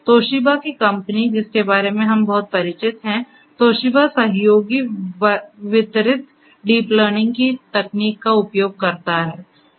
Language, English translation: Hindi, The company Toshiba of which we are very much familiar, Toshiba uses something known as the collaborative distributed deep learning technology